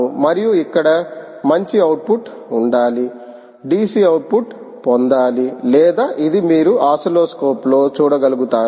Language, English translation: Telugu, this is output or which you should be able to see on the oscilloscope